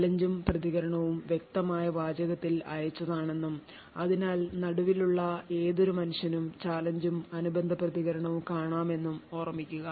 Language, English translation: Malayalam, So, note that we said that the challenge and the response is sent in clear text and therefore any man in the middle could view the challenge and the corresponding response